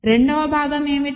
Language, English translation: Telugu, What is the second part